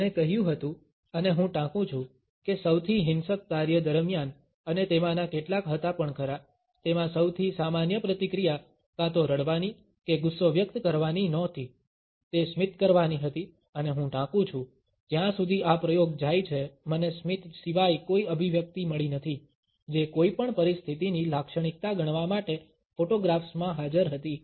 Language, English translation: Gujarati, He had said and I quote that even during the most violent task and some of them were, the most common reaction was not either to cry or to express anger, it was to smile and I quote “So far as this experiment goes I have found no expression other than a smile, which was present in a photographs to be considered as typical of any situation”